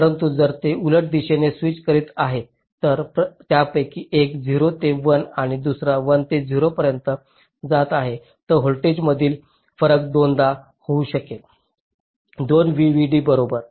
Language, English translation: Marathi, but if they are switching in the opposite direction, so one of them is going from zero to one and the other is going from one to zero, then the difference in voltages can be twice two